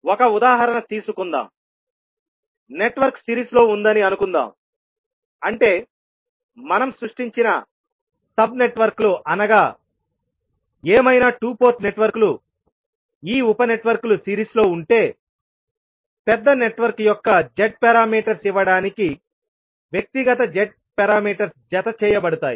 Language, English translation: Telugu, Let us take an example that suppose the network is in series means the two port networks these are whatever the sub networks we have created, if these sub networks are in series then their individual Z parameters add up to give the Z parameters of the large network